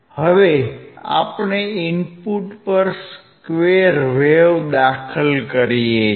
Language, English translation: Gujarati, Now, we are applying at the input which is square wave